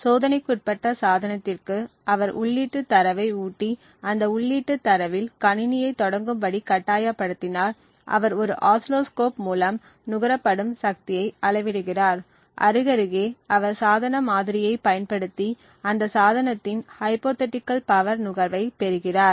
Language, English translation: Tamil, So, to the device under test once he feeds the input data and forces that device to start computing on that input data, he measures the power consumed through an oscilloscope, side by side he uses the device model to obtain what is known as a Hypothetical Power consumption of that device